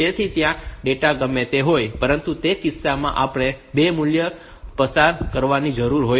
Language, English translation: Gujarati, So, whatever data so, in that case we required 2 values to be passed